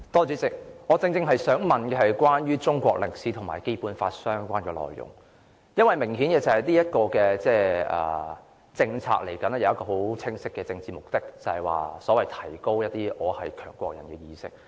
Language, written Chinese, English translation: Cantonese, 主席，我正想問關於中國歷史科及《基本法》相關的內容，明顯的是，這項政策有一個很清晰的政治目的，就是提高一些"我是強國人"的意識。, President the question I want to ask is exactly about topics in Chinese History that are related to the Basic Law . Very obviously the policy here carries a very clear political objective the objective of increasing the Big Power Citizen Awareness